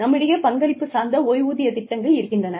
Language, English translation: Tamil, So, we have these contributory pension plans